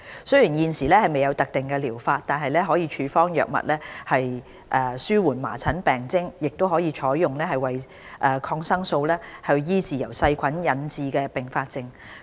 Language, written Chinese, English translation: Cantonese, 雖然現時未有特定療法，但可處方藥物紓緩麻疹病徵，亦可採用抗生素醫治由細菌引致的併發症。, Although there is no specific treatment drugs may be prescribed to reduce the symptoms of measles and antibiotics may be used to treat bacterial complications